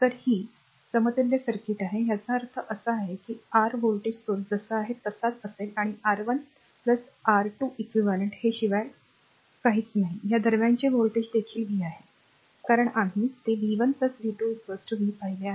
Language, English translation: Marathi, So, this is your equivalent circuit; that means, your voltage source will be there as it is, and Req is nothing but your R 1 plus R 2, and voltage across this is also v, because we have seen that v 1 plus v 2 is equal to v